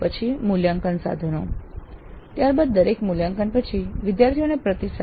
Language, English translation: Gujarati, Then assessment instruments, then feedback to students after every assessment, this is very important